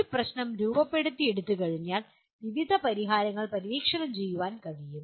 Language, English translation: Malayalam, Once a problem is formulated, various solutions can be explored